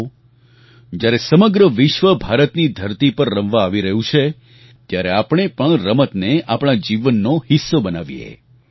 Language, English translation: Gujarati, Come on, the whole world is coming to play on Indian soil, let us make sports a part of our lives